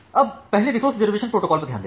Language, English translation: Hindi, Now, let us first look into the resource reservation protocol